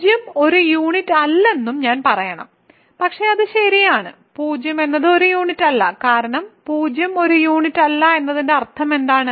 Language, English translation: Malayalam, I should also say that 0 is not a unit, but that is obvious right 0 is not a unit, because what is the meaning of 0 not being a unit